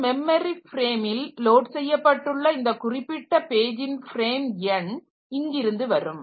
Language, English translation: Tamil, So, for a particular page in which memory frame it has been loaded, so that frame number will be coming from here